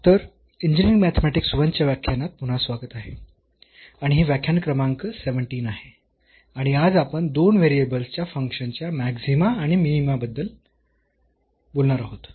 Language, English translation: Marathi, So welcome back to the lectures on Engineering Mathematics I and this is lecture number 17 and today we will be talking about the Maxima and Minima of Functions of Two Variables